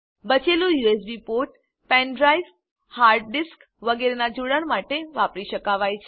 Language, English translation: Gujarati, The remaining USB ports can be used for connecting pen drive, hard disk etc